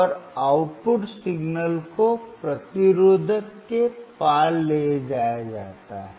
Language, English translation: Hindi, And the output signal is taken across the resistor